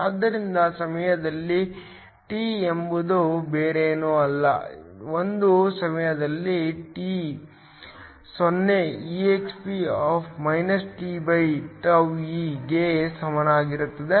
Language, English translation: Kannada, So, Δn at time t is nothing but Δn a time t equal to 0 exp( t/τe)